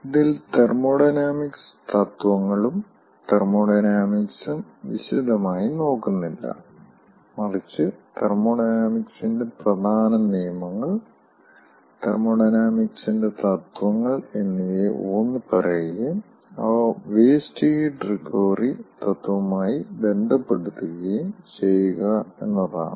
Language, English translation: Malayalam, this is not looking into the thermodynamic principles and thermodynamic dynamics in details, but, ah, just to stress upon the important, important laws of thermodynamics, principles of thermodynamics, and to relate them with the principle of waste heat recovery